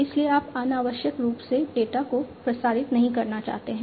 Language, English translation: Hindi, So, you do not want to transmit, you know, redundant data unnecessarily